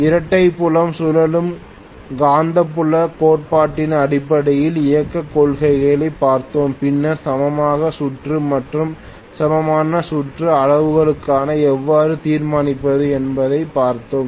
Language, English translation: Tamil, Then we looked at the operating principle based on double field revolving magnetic field theory, then we looked at the equivalent circuit and how to really determine the equivalent circuit parameters